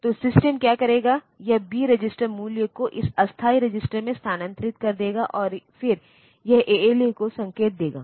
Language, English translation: Hindi, So, what the system will do it will transfer this B register value to this temporary register, and then it will give that signal to the ALU